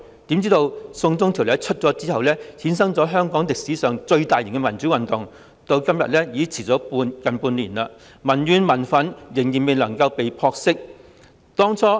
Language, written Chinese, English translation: Cantonese, 豈料，"送中條例"推出後，衍生了香港歷史上最大型的民主運動，至今已經持續近半年，民怨和民憤仍然未能被撲熄。, Yet the introduction of the China extradition bill has triggered the largest pro - democracy movement ever in Hong Kong lasting for nearly six months up till now but public grievances and resentment have still not been allayed